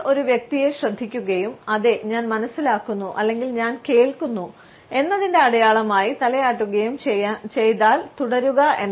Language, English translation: Malayalam, If we listen to a person and nod as a sign of “Yes, I understand or I am listening, please continue